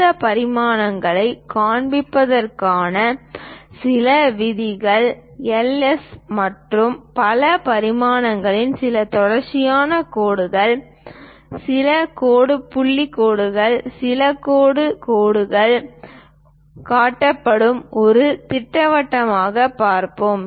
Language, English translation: Tamil, Few rules to show these dimensions, let us look at a schematic where L, S and so on dimensions are shown some continuous line, some dash dot lines, some dashed lines that means, there is a hole